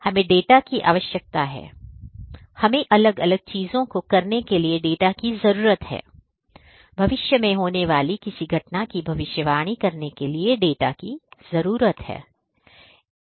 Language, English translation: Hindi, We need data, we need data; we need data for doing different things, we need data for predicting something that might happen in the future, miss happenings in the future events and miss events that are going to occur in the future